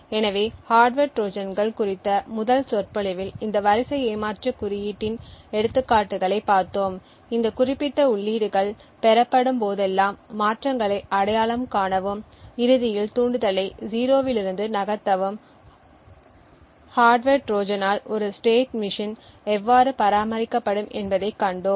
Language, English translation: Tamil, So we had seen examples of this sequence cheat code in the first lecture on hardware Trojans and we had seen how a state machine would be maintained by the hardware Trojan to identify transitions whenever these specific inputs are obtained and eventually move the trigger from a 0 to a 1 and thereby by forcing the payload to be activated and secret information leaked out